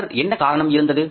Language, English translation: Tamil, Earlier what was the reason